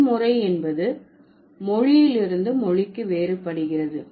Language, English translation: Tamil, So, the numeral system, it varies from language to language